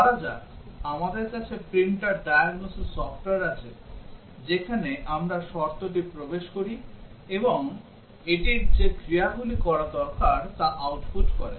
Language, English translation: Bengali, Let us say we have printer diagnosis software where we enter the condition and it outputs the actions that need to be take place